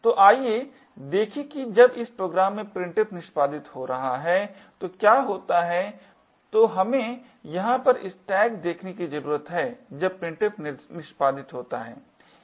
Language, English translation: Hindi, So, let us look at what happens when printf is executing in this program, so what we need to look at over here is the stack when printf executes